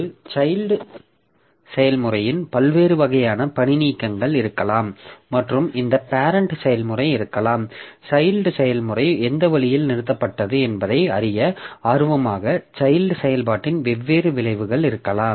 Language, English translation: Tamil, So, there may be different types of termination of a child process and this parent process may be interested to know in which way the child process terminated